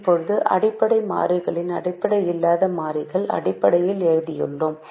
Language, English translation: Tamil, so now we have written the basic variables in terms of the non basic variables